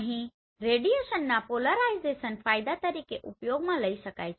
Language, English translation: Gujarati, So here the polarization of the radiation can be used as an advantage